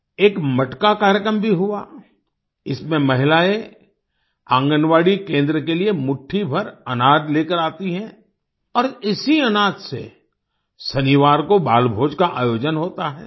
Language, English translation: Hindi, A Matka program was also held, in which women bring a handful of grains to the Anganwadi center and with this grain, a 'Balbhoj' is organized on Saturdays